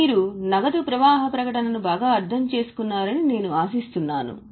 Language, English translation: Telugu, So, I hope you have overall understood cash flow statement